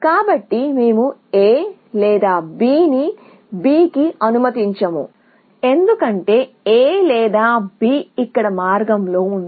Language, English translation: Telugu, So, we will not allow A or B to B, because A or b is in the path here